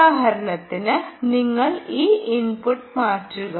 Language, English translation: Malayalam, for instance, you change this input